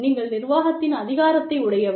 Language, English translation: Tamil, You are an administration authority